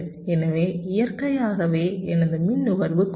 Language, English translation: Tamil, so naturally my power consumption will be reduced